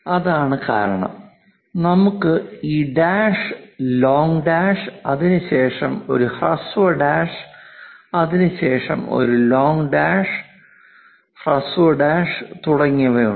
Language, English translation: Malayalam, That is the reason, we have these dash, long dash, followed by short dash, followed by long dash, short dash and so on